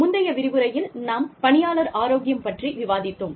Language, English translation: Tamil, We were discussing, Employee Health, in the previous lecture